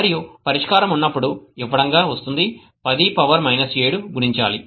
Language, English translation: Telugu, okay and when the solution was give comes out to be 10 to the power minus 7 multiplied by 0